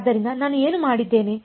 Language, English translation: Kannada, So, what I have done